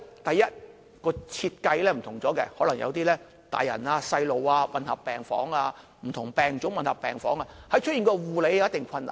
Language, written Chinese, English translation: Cantonese, 第一，設計不同，可能有些大人小童混合病房，不同病種混合病房，在護理上有一定困難。, The different ward settings such as mixed wards admitting both adults and children or admitting patients with various types of illnesses will make the provision of care services more difficult